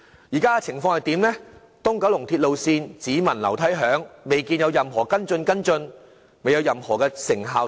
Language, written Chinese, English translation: Cantonese, 但是，現時東九龍鐵路線項目"只聞樓梯響"，未見有任何跟進，尚未能看到任何成效。, Yet the East Kowloon Line remains all talk only for the time being and follow - up actions have yet to come let alone the results